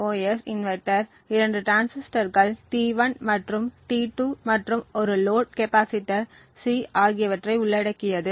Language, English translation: Tamil, So, this is the CMOS inverter, it comprises of two transistors T1 and T2 and a load capacitor C